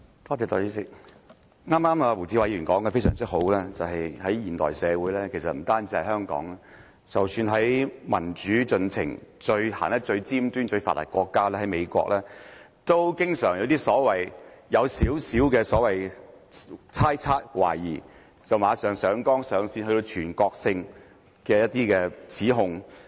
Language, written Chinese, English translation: Cantonese, 代理主席，胡志偉議員剛才說得非常好，就是在現代社會，不單是香港，即使在民主進程走得最尖端、最發達的國家——美國，都經常基於少許猜測、懷疑，便馬上上綱上線，作出全國性的指控。, Deputy President what Mr WU Chi - wai said just now is exactly true . His words are true of all modern - day societies not only Hong Kong but also the one country which is most advanced and at forefront of democratization the United States . In the United States people will quickly escalate an issue to the level of cardinal principles and make nationwide accusations based on mere speculations and suspicions